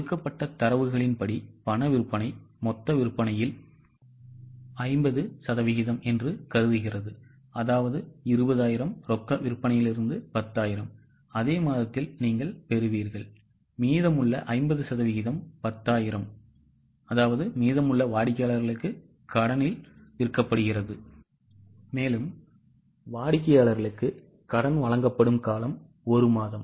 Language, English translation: Tamil, As per the given data, assume that cash sales are 50% of total sales that means from 20,000 cash sales are 10,000 that you will receive in the immediate month, same month and remaining 50% that is remaining 10,000 is sold to customers on credit, the period of credit allowed to customer is one month